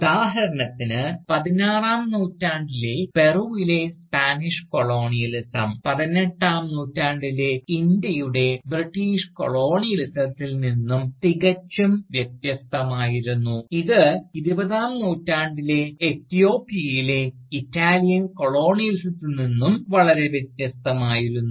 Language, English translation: Malayalam, Thus, for instance, the 16th century Spanish Colonialism of Peru, was markedly different from the 18th century British Colonialism of India, which in turn, was again, very different from the 20th century Italian Colonialism of Ethiopia